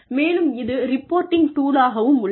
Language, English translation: Tamil, And, it is a reporting tool